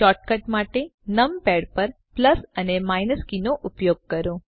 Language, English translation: Gujarati, For shortcut, use the plus and minus keys on the numpad